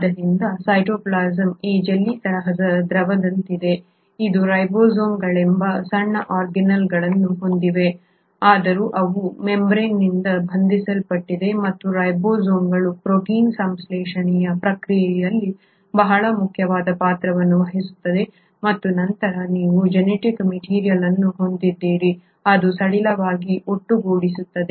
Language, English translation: Kannada, So the cytoplasm is like this jellylike fluid which has the small tiny organelles called ribosomes though they are not membrane bound and these ribosomes play a very important role in the process of protein synthesis and then you have the genetic material which is kind of aggregated loosely in the cytoplasm not surrounded by a membrane and this structure is what you call as the nucleoid